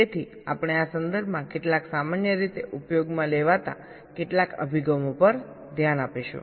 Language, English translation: Gujarati, so we shall be looking at some of the quite commonly used approaches in this regard